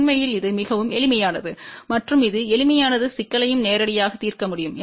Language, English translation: Tamil, In fact, this was very simple in this simple problem can be also directly solved also